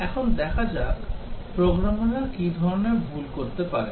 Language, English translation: Bengali, Now, let us see the kind of mistakes programmers commit